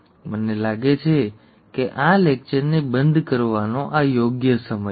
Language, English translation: Gujarati, I think this is right time to close this lecture